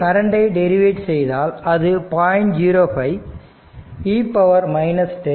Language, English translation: Tamil, So, if you do if you take the derivative of it will become 0